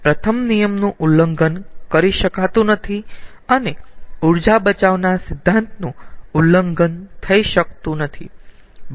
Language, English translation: Gujarati, as first law cannot be violated and the principle of energy conservation cannot be violated, second law also cannot be violated